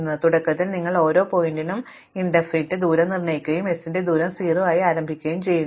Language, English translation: Malayalam, So, initially you assign the distance to be infinity for every vertex and you initialize the distance of s to be 0